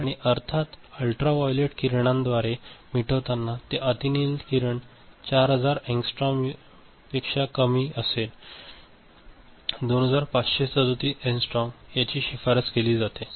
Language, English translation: Marathi, And erasing of course, by ultraviolet ray which is shorter than 4000 angstrom, recommended is 2537 angstrom